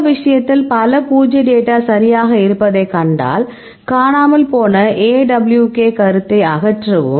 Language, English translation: Tamil, Then in this case also if you see there are many null null data ok, either remove missing AWK comment